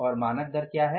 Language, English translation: Hindi, What was the standard rate